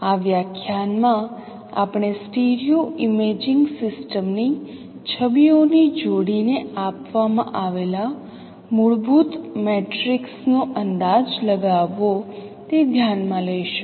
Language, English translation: Gujarati, The in this lecture we will consider how to estimate a fundamental matrix given a pair of images of a stereo imaging system